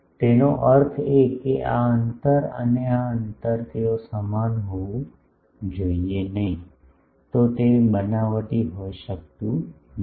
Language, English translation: Gujarati, That means, this distance in sorry this distance and this distance they should be same otherwise, it cannot be fabricated